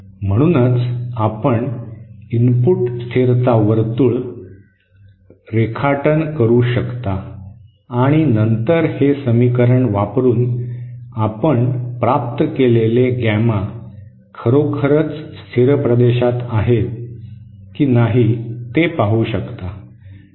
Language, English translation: Marathi, So that, you can do by drawing the input stability circle and then see whether the gamma is that you have obtained using this equation indeed lies in the stable region